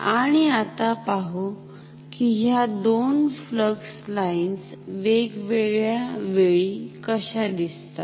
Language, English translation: Marathi, And now let us see how these flux lines look like at different time instants